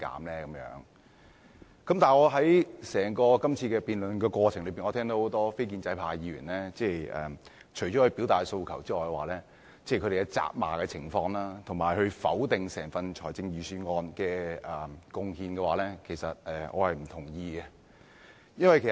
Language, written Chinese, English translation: Cantonese, 在今次整個辯論過程中，我聽到很多非建制派議員除了表達訴求外，還責罵政府，以及否定整份財政預算案的貢獻，我並不贊同這些做法。, In this entire debate many non - establishment Members have apart from voicing their demands rebuked the Government and totally denied the contributions of the Budget . I do not agree with them